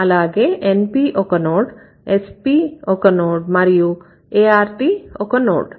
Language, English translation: Telugu, Remember, S is a node, NP is a node, VP is a node, art is a node